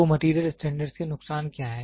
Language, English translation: Hindi, So, what are the disadvantages of the Material Standards